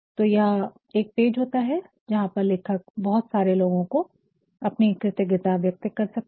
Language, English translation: Hindi, So, here is a page where the report writer can pay his gratitude to several people